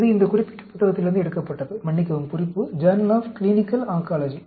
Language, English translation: Tamil, This was taken from this particular book, sorry, reference, Journal of Clinical Oncology